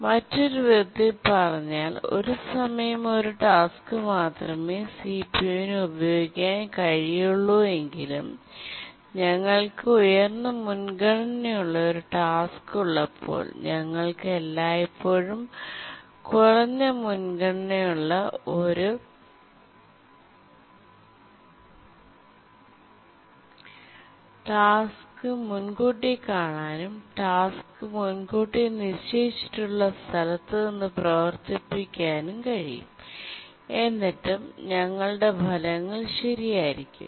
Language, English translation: Malayalam, Or in other words, even though CPU can be used by only one task at a time, but then when we have a higher priority task, we can always preempt a lower priority task and later run the task from that point where it was preempted and still our results will be correct